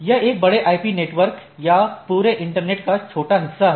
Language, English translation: Hindi, It is a logical portion of a large IP network or the whole internet